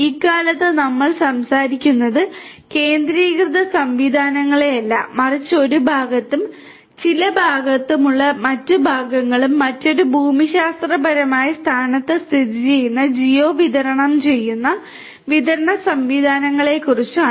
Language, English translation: Malayalam, Nowadays we are talking about not centralized systems, but distributed systems which have certain parts or components in one location and other parts are geo distributed located in another geographic location